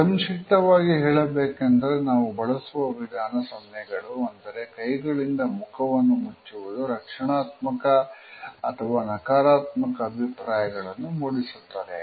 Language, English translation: Kannada, In brief, we can say that different types of gestures, which we use to cover over mouth or face normally, indicate either negativity or defense